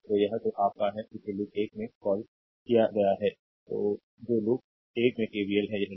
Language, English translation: Hindi, So, this is your what you call that in loop 1 that is your KVL in loop 1, right this is loop 1